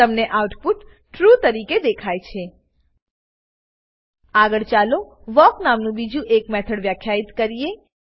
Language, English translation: Gujarati, You will notice the output as: true Next, let us define another method called walk